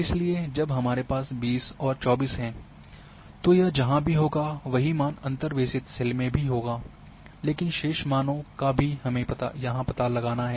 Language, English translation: Hindi, So, when we 20 and 24 wherever it is falling here the same values are in the interpolated cells, but remaining values have been predicted here